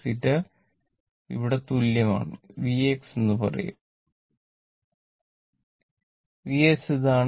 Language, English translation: Malayalam, So, v cos theta here is equal say v x, and v sin theta is this one